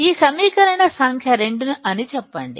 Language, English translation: Telugu, Let’s say this equation number 2